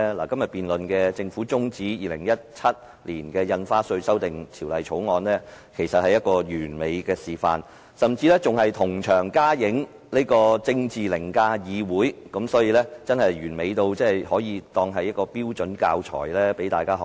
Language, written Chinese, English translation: Cantonese, 今天就政府中止審議《2017年印花稅條例草案》進行的辯論，便是一個完美示範，甚至同場加映政治凌駕議會，完美到可作標準教材，讓大家學習。, The debate today on the Governments motion to adjourn the scrutiny of the Stamp Duty Amendment Bill 2017 the Bill is a perfect demonstration which has also incorporated the element of politics overriding the legislature . It is so perfect that it can well be treated as a standard textbook for educational purposes